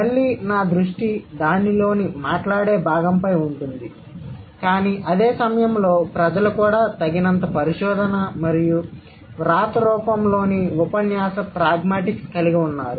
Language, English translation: Telugu, Again, my emphasis would be on the spoken aspect of it or the spoken part of it, but at the same time people also that there has been enough research and the discourse pragmatics of the written form